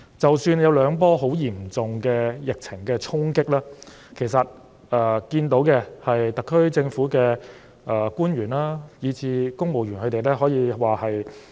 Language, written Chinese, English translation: Cantonese, 即使有兩波很嚴重的疫情衝擊，其實也看到特區政府的官員，以至公務員都沉着應戰。, Despite that we are hard hit by two waves of the epidemic actually we can see that the officials and civil servants of the SAR Government have remained calm in meeting the challenges